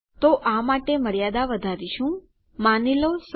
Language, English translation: Gujarati, So we are going increase the limit for this to, say, 100